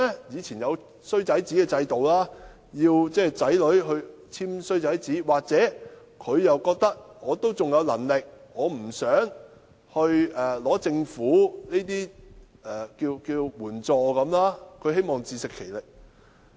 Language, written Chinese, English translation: Cantonese, 以往有"衰仔紙"制度，他們不想子女簽"衰仔紙"，又或者他們認為自己仍有能力，故不想申請政府的援助，希望能自食其力。, There was a bad son statement system in the past . As they do not want their children to sign the bad son statement or consider that they are still capable they are reluctant to apply for government assistance hoping that they can stand on their own feet